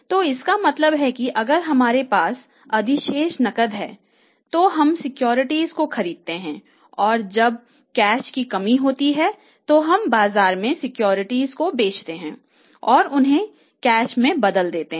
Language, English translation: Hindi, So it means we if we have a surplus cash we buy the securities and when there is a shortage of the cash we sell the securities in the market and convert them into cash so it means there is the same assumption in these two cases